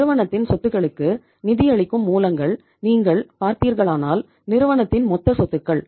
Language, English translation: Tamil, Sources of financing the assets of the firm, total assets of the firm if you look at